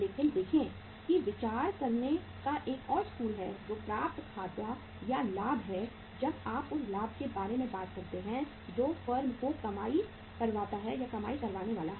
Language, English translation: Hindi, But see there is a another school of thought that accounts receivable or the profit when you talk about the profit that is also going to be the earning to the firm